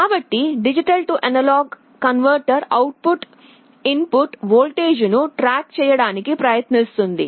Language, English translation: Telugu, So, the D/A converter output will try to track the input voltage